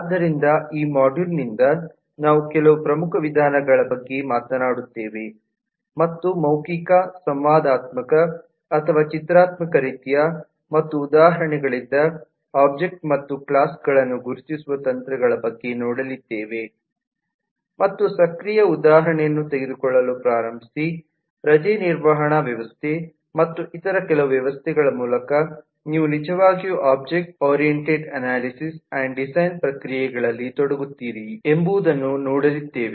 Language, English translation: Kannada, so from this module onwards, where we will talk about some of the major tools and techniques of actually identifying objects and classes from a given specification of written, verbal, interactive or pictorial kind, and start taking example and active exercise example with a leave management system and some of the other systems to illustrate how, as a practitioner, you actually engage in the objectoriented analysis and design processes